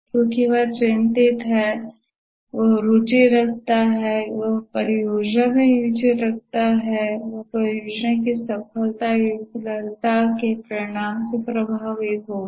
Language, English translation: Hindi, He will be a stakeholder because he is concerned, he is interested, he has interests on the project, he will be affected by the result of the project success or failure